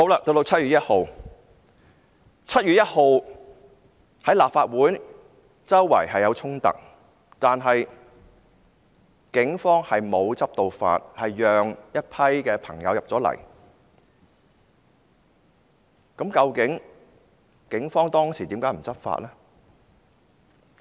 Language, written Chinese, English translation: Cantonese, 到了7月1日，立法會大樓外四處發生衝突，但警方沒有執法，結果讓一群朋友進入了立法會，究竟警方當時為何不執法呢？, On 1 July clashes broke out everywhere outside the Legislative Council Complex but the Police did not enforce the law and consequently a group of people entered the Legislative Council Complex . Why did the Police not enforce the law at that time?